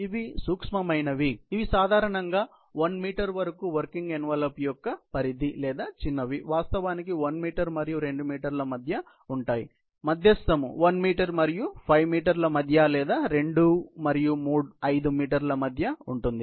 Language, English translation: Telugu, These are the micro, which typically goes for less than 1 meter range, ≤1 meter range of the working envelope, or small range, which is actually between 1 and 2 meters; medium between 1 and 5 meters, or medium between 2 and 5 meters